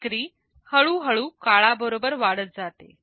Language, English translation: Marathi, The sale increases slowly over time